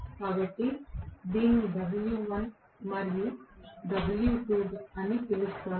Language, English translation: Telugu, So, let me call this as w1 and w2